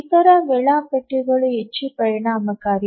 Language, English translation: Kannada, The other schedulers are much more efficient